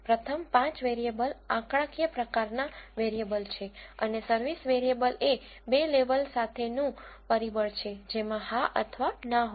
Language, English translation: Gujarati, The first 5 variables are numeric type variables, and the service variable is a factor with two levels which contains yes or no